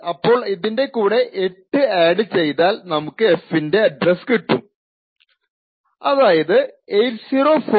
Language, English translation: Malayalam, So if we add 8 to this, we will get 804B050 which precisely is what is the address of f